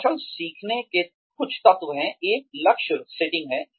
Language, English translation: Hindi, Some ingredients of skill learning are, one is goal setting